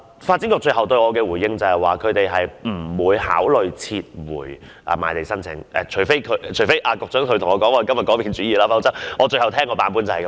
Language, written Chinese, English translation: Cantonese, 發展局給我的回應是不會考慮撤回該項賣地申請，除非局長今天告訴我他已改變主意，否則我得到的最後版本就是如此。, According to the response given to me by the Development Bureau no consideration will be given to withdrawing the land sale plan and this is the final reply provided to me unless the Secretary tells me today that he has already changed his mind